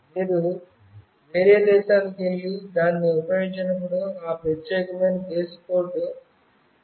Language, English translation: Telugu, When you move to some other country and you use it, then that unique country code will be attached to it